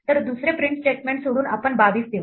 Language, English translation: Marathi, So, we would except the second print statement to give us 22